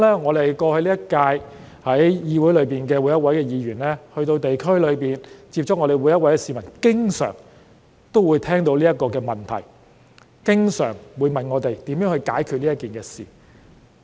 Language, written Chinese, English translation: Cantonese, 我相信今屆每位議員於過去一段時間在地區接觸市民時，他們也經常聽到這些問題，市民也經常問我們會如何解決這件事。, I believe that all Members of the current term have come across these frequent queries when they met with the public in the districts over a period in the past and we were often asked by the public how we would deal with this problem